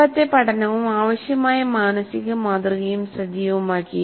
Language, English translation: Malayalam, So the prior learning and the required mental are activated